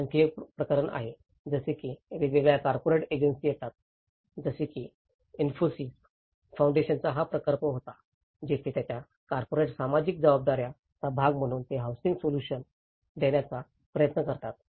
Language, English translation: Marathi, There is another case, like where different corporate agencies come like for example this was a project by Infosys Foundation where, as a part of their corporate social responsibilities, they try to come and deliver the housing solutions